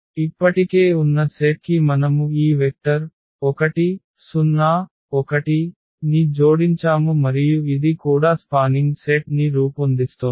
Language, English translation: Telugu, So, the existing set and we have added one more this vector 1 0 1 and this is also forming a spanning set